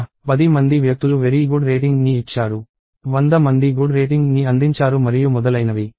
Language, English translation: Telugu, There are 10 people who gave very good rating; hundred people who gave good and so on”